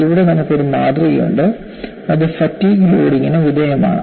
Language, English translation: Malayalam, Here you have a specimen, which is subjected to fatigue loading